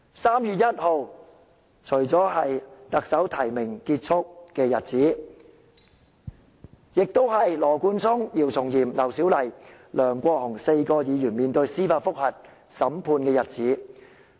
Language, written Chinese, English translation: Cantonese, 3月1日，除了是特首提名期結束的日子，亦是羅冠聰議員、姚松炎議員、劉小麗議員和梁國雄議員4名議員司法覆核案件聆訊的日子。, The first of March not only marks the closing of the nomination period for the Chief Executive Election but also is the day of the judicial review hearing involving four Members namely Mr Nathan LAW Dr YIU Chung - yim Dr LAU Siu - lai and Mr LEUNG Kwok - hung